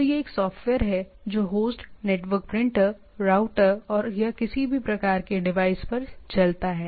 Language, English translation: Hindi, So, it is a software which runs on either in the host, network printer, in a router and or any network type of devices